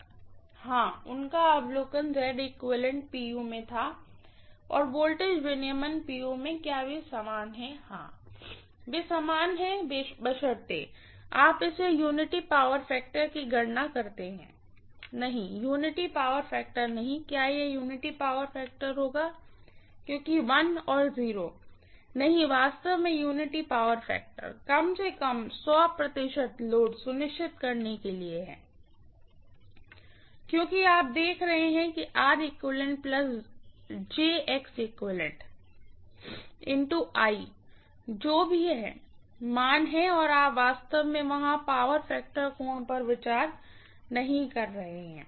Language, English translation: Hindi, Per unit Z equivalent and voltage regulation at unity power factor at 100 percent load yes, yes, that is right, his observation was Z equivalent in per unit and voltage regulation in per unit are they equal yes, they are equal provided, you calculate it at unity power factor, no, not unity power factor, will it be unity power factor because 1 and 0, not really unity power factor, at least 100 percent load is for sure, okay, because you are looking at R equivalent plus JX equivalent multiplied by I, whatever is the I value and you are not really considering the power factor angle there